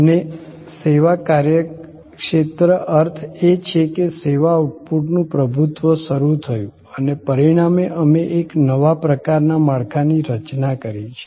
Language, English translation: Gujarati, And service business says service outputs started dominating and as a result we have created a new kind of a structure